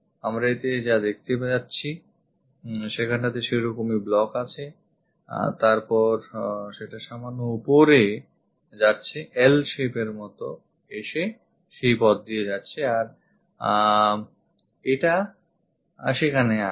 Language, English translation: Bengali, What we are going to see is; here there is such kind of block that is this, then it goes little bit up comes like L shape and goes via in that way and it comes there